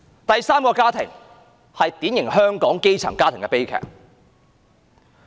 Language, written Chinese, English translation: Cantonese, 第三個家庭是典型香港基層家庭的悲劇。, The third family is the tragedy of a typical grass - roots family in Hong Kong